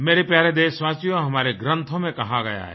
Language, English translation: Hindi, My dear countrymen, it has been told in our epics